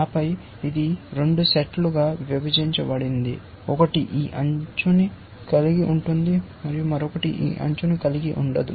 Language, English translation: Telugu, And then, we partition this set into 2 sets one which contain one edge, and the other which did not contain this edge